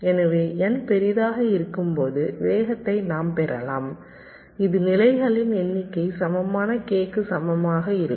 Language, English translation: Tamil, so when n is large we can get us speed up, which is approximately equal to k, equal to number of stages